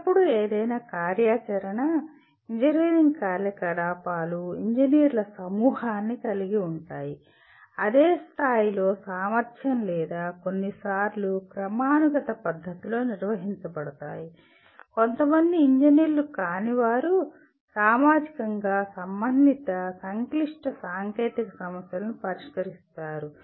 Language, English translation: Telugu, Always any activity, engineering activity will involve a group of engineers, either at the same level of competency or sometimes organized in a hierarchical fashion along with some non engineers they solve socially relevant complex technical problems